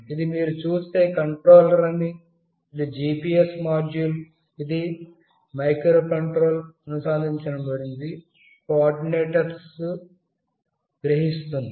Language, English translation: Telugu, If you see this is the microcontroller, this is the GPS module, which will be connected with the microcontroller that will sense the coordinates